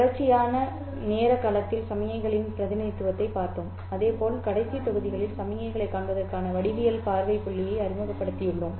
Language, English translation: Tamil, We have looked at the representation of signals both in continuous time domain as well as we have introduced the geometrical viewpoint of visualizing the signals in the last modules